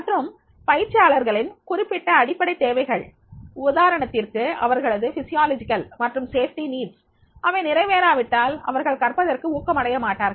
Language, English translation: Tamil, So, also certain basic needs of trainees, example, the physiological and safety needs are not met, they are unlikely to be motivated to learn